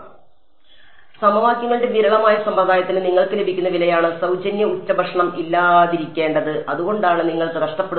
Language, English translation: Malayalam, So, that is the price you get for a sparse system of equations there has to be there is no free lunch and that is why you lose out